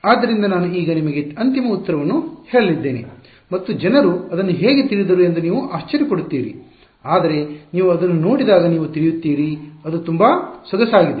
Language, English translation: Kannada, So, I am going to tell you the final answer and you will wonder how did people come up with it, but you will see when you see it, it is very elegant